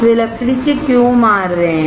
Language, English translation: Hindi, Why they are hitting with a wood